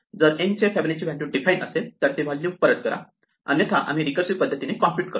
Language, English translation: Marathi, If there is a value Fibonacci of n, which is defined then return that value; otherwise, we go through the recursive computation